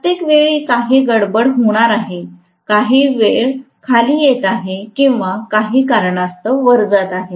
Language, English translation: Marathi, Every time there is going to be some disturbance, some speed coming down or going up due to some reason